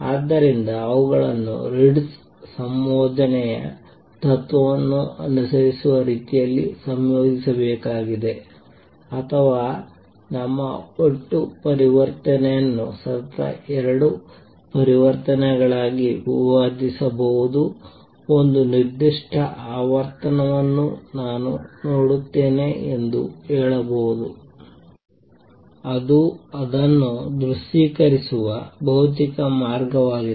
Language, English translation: Kannada, So, they have to be combined in a manner that follows Ritz combination principle or you can say I see one particular frequency where our total transition can be broken into two consecutive transitions that is a physical way of visualizing it